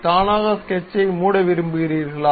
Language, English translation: Tamil, Would you like to sketch to be automatically close